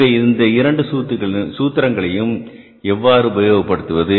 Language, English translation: Tamil, So, what is the difference between this formula